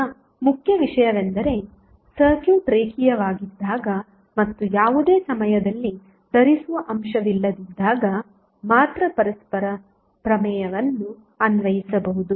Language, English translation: Kannada, Now, important thing is that the reciprocity theorem can be applied only when the circuit is linear and there is no any time wearing element